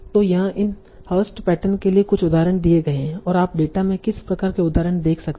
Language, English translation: Hindi, So here are some examples for these harsh patterns and what kind of example occurrences you can see in the data